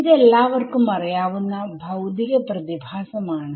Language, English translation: Malayalam, So, this everyone knows is a physical phenomena right